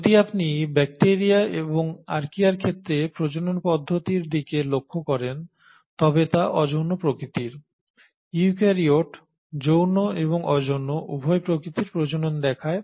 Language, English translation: Bengali, If you look at the mode of reproduction in case of bacteria and Archaea the mode of reproduction is asexual, but eukaryotes exhibit both sexual and asexual mode of reproduction